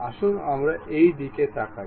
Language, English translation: Bengali, Let us look at this